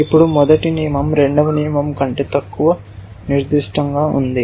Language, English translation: Telugu, Now, the first rule is less specific than the second rule